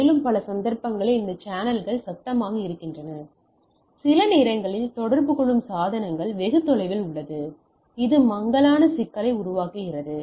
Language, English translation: Tamil, And, in number of cases this channels are noisy, sometimes the devices which are communicating are far away which creates a problem of fading